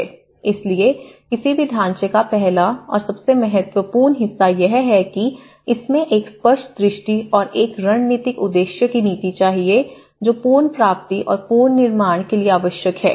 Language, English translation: Hindi, So, the very first and foremost part of the any framework is it should have a clear vision and a strategic objective and a clear policy which is needed for recovery and reconstruction